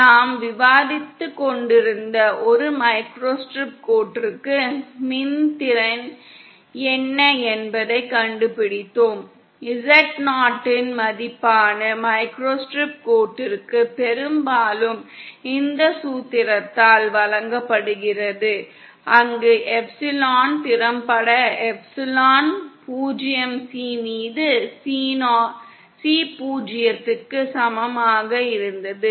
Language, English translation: Tamil, For a microstrip line that we were discussing we have found out what is an E effective and for a microstrip line that is the value of Z 0 is often given by this formula where epsilon effective as we found was equal to epsilon 0 C upon C 0